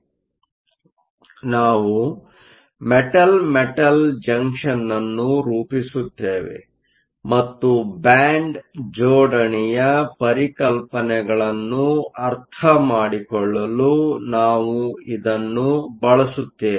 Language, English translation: Kannada, So, we will form a Metal Metal Junction and we will use this to understand the concepts of band alignment